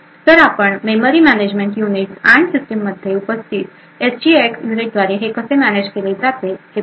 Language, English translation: Marathi, So, let us see how this is managed by the memory management units and the SGX units present in the system